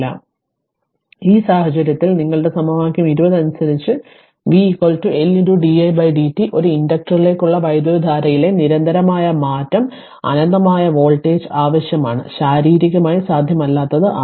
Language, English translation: Malayalam, So, your in this case according to equation 20 that is v is equal to L into di by dt a discontinuous change in the current to an inductor requires an infinite voltage which is physically not possible